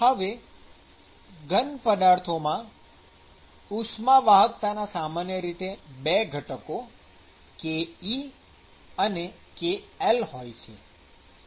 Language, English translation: Gujarati, Now, the thermal conductivity in a solid typically has 2 components, ke and kl